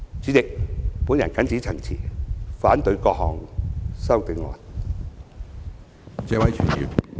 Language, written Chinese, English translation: Cantonese, 主席，我謹此陳辭，反對各項修正案。, With these remarks President I oppose all the amendments proposed by Members